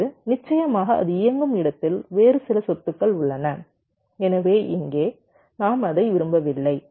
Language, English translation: Tamil, now of course there is some other property where it runs, so so here we are not wanting it now